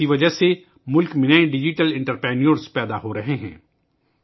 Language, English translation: Urdu, For this reason, new digital entrepreneurs are rising in the country